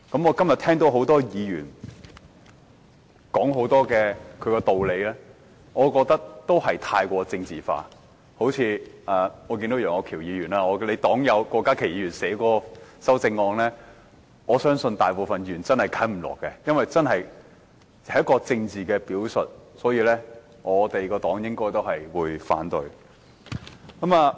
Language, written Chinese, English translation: Cantonese, 我今天聽到很多議員說了很多道理，我覺得都過於政治化，好像楊岳橋議員的黨友郭家麒議員提出的修正案，我相信大部分議員均無法接受，因為這是一個政治表述，相信我所屬的政黨應會反對。, Today I find the arguments presented by many Members highly politicized . An example is the amendment proposed by Dr KWOK Ka - ki Mr Alvin YEUNGs fellow party member . I believe most Members will not accept Dr KWOKs amendment because it only serves as a political statement which I believe the political party to which I belong will also oppose it